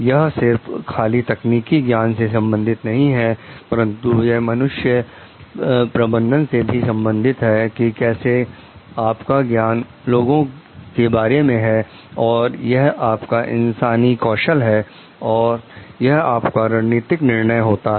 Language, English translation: Hindi, It is not only about the technical knowledge, but it is also about the man management like how to it is your knowledge of the people and it is your a human skills, and it is your strategic decisions